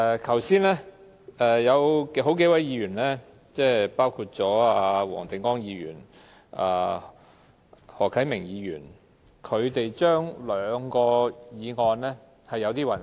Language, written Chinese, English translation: Cantonese, 剛才有數位議員，包括黃定光議員和何啟明議員對兩項法案有點混淆。, Earlier on several Members including Mr WONG Ting - kwong and Mr HO Kai - ming have confused two Bills